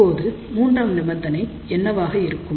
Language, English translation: Tamil, Now, what about this third condition